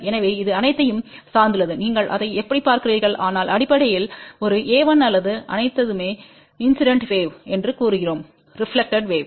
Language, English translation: Tamil, So, it all depends how you look at it but basically we just say that a 1 or all a's are incident wave all b's are reflected wave